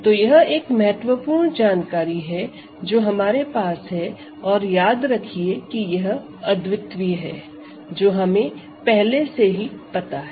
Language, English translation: Hindi, So, this is an important information that we have and remember this is unique that we know already